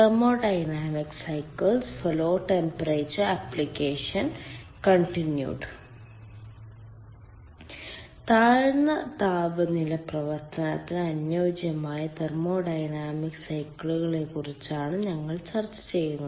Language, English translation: Malayalam, we are discussing ah thermodynamic cycles which are suitable for low temperature operation